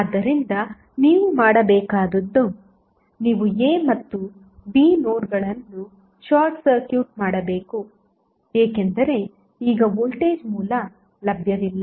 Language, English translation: Kannada, So, what you have to do you have to simply short circuit the notes A and B because now voltage source is not available